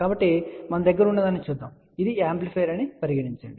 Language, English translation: Telugu, So, let us see what we have, let us say this is the amplifier